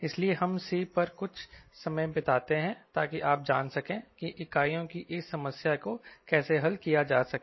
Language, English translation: Hindi, so we spend some time on c so that you know how to handle this problem of units